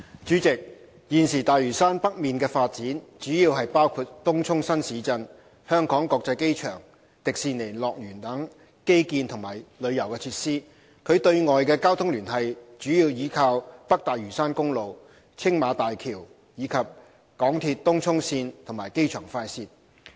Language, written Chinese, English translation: Cantonese, 主席，現時大嶼山北面的發展主要包括東涌新市鎮、香港國際機場、迪士尼樂園等基建及旅遊設施，其對外的交通聯繫主要依靠北大嶼山公路、青馬大橋，以及港鐵東涌線和機場快線。, President at present the developments of North Lantau mainly include infrastructure and tourism facilities such as Tung Chung New Town the Hong Kong International Airport and the Hong Kong Disneyland . North Lantau Highway Tsing Ma Bridge and the Tung Chung Line and Airport Express of the Mass Transit Railway are the main external transport links